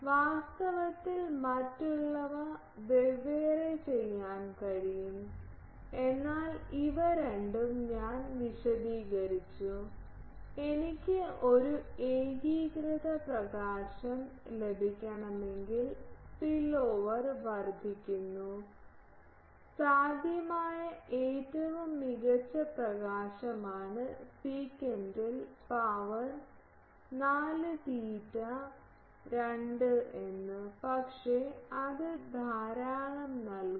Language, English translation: Malayalam, Actually, the others can be separately done, but these two are as physically I explained that if I want to have an uniform illumination then spillover increases, that I said earlier that the of best possible illumination was that sec to the power 4 theta by 2, but that gives lot of a